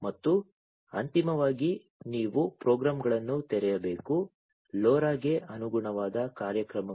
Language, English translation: Kannada, And so finally, you will have to open the programs, the corresponding programs for the LoRa